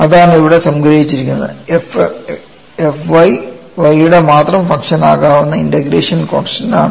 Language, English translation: Malayalam, And that is what is summarized here; f function of y is the constant of integration which can be a function of y only